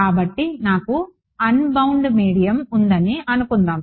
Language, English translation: Telugu, So, suppose I have an unbound medium